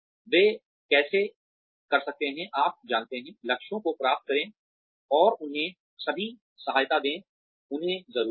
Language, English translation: Hindi, How they can, you know, achieve the goals so, and give them all the support, they need